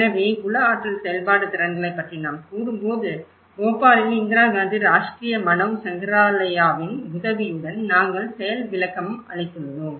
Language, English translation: Tamil, So, when we say about the psychomotor skills, we also have demonstrated by with the help of Indira Gandhi Rashtriya Manav Sangrahalaya in Bhopal